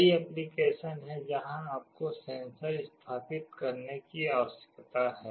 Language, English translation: Hindi, There are many applications where you need to install a sensor